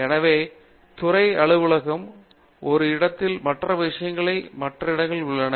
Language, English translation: Tamil, So, the department office is in one place, other things are in other places